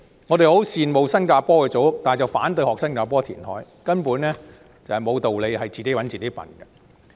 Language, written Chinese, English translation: Cantonese, 我們十分羨慕新加坡的組屋，但卻反對學習當地填海，根本毫無道理，是自討苦吃。, We are envious of the Housing and Development Board flats in Singapore but oppose following their example in reclamation . This is totally unreasonable and asking for trouble